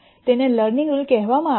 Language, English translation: Gujarati, Why is it called the learning rule